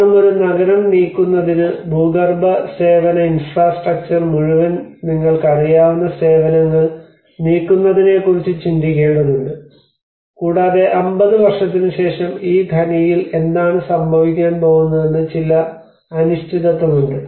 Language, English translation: Malayalam, Because in order to move a city you need to think of moving the services you know the whole underground services service infrastructure has to go and also there is also some uncertainty how after 50 years what is going to happen with this mine